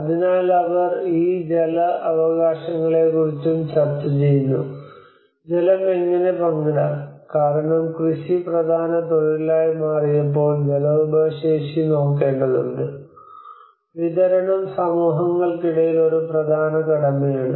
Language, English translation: Malayalam, So they also discuss about these water rights; how to share the water because when agriculture has become the main occupation, one has to look at water resourcing and distribution is an important task among the communities